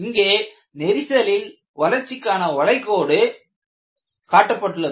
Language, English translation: Tamil, And these are called as crack growth curves